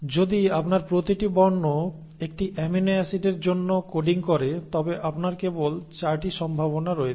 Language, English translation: Bengali, So if you have each alphabet coding for one amino acid you have only 4 possibilities